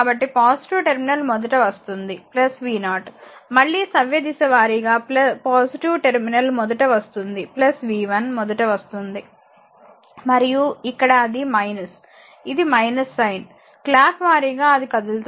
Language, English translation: Telugu, So, encountering plus terminus plus plus v 0, plus again encountering ah clock wise plus terminus plus v 1 , and here it is encountering minus, this minus sine clock wise your are moving so, minus v 2 is equal to 0